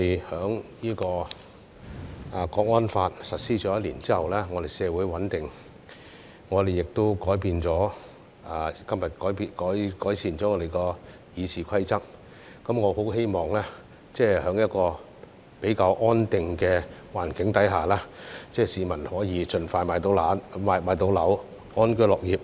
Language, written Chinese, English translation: Cantonese, 《香港國安法》實施1年後，我們社會穩定，今天我們已改善了《議事規則》，我很希望在一個比較安定的環境下，市民可以盡快買到樓，安居樂業。, One year after the implementation of the Hong Kong National Security Law our society is stable . Also we have now improved the Rules of Procedure . I very much hope that in a relatively more stable environment the public can achieve home ownership as soon as possible and live and work in contentment